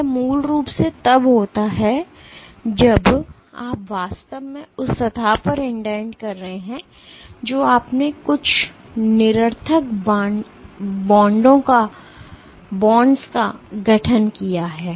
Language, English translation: Hindi, This is basically when you have actually indent in the surface you have formed some nonspecific bonds